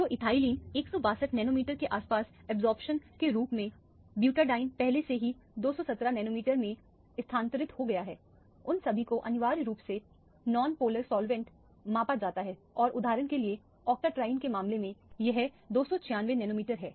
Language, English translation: Hindi, So, ethylene as an absorption around 162 nanometers, butadiene already shifted to 217 nanometer, all of them are measured essentially non polar solvents and in the case of octatriene for example, this is to 296 nanometer